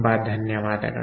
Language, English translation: Kannada, ok, thank you very much